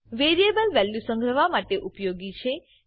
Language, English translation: Gujarati, Variable is used to store a value